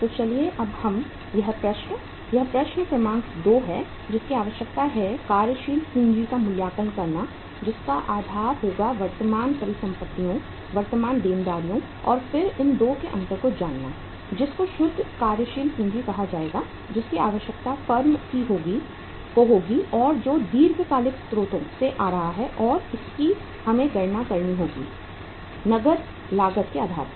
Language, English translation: Hindi, So let us do now this problem this is problem number 2 which is requiring the assessment of working capital uh on the basis of current assets, current liabilities and then the difference of these 2 will be the will be called as the net working capital which will be required by the firm coming from the long term sources of finance and this we have to uh calculate on the cash cost basis